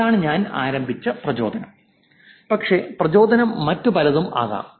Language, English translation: Malayalam, But the motivation can be many other things